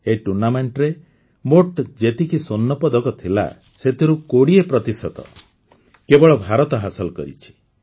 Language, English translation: Odia, Out of the total gold medals in this tournament, 20% have come in India's account alone